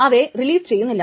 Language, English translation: Malayalam, It may not release